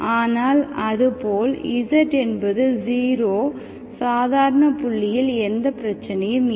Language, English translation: Tamil, But 0 as such, there is no issue with 0, z is 0 is an ordinary point